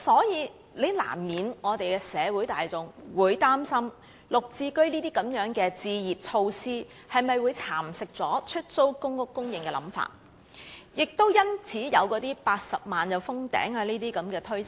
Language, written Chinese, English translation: Cantonese, 因此，社會大眾難免會擔心"綠置居"的置業措施會否蠶食出租公屋的供應，亦因此有那些有關公屋單位達80萬個便會封頂的推測。, Hence it is inevitable that the public are worried whether the housing measure of GSH will nibble away the supply of PRH and thus there are also such conjectures about the number of PRH units being capped at 800 000